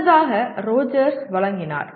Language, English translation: Tamil, Earlier was given by Rogers